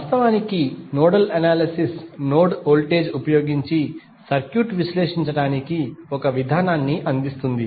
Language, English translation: Telugu, Actually, nodal analysis provides a procedure for analyzing circuit using node voltage